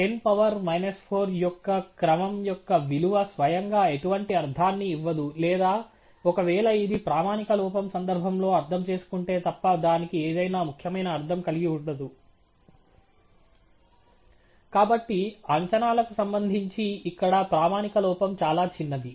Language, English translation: Telugu, So, the value of something of the order of 10 power minus 4 by itself does not make any meaning or carry any significant meaning to it, unless it is interpreted in the context of the standard error